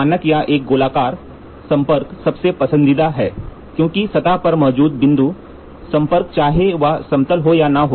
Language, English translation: Hindi, The standard or a spherical contact is the most is most preferred one because present point contact on the mating surface irrespective of whether it is flat or not